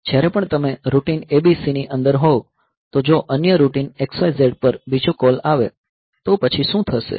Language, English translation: Gujarati, So, whenever you are within the routine ABC if there is another call called to another routine XYZ